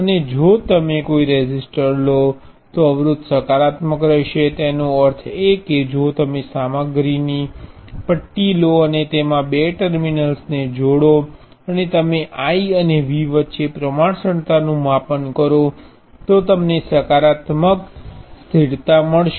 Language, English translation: Gujarati, And if you take a physical resistor, the resistance will be positive; that means, that if you take a bar of material and connect two terminals to it and you measure the proportionality constant between V and I, you will find a positive constant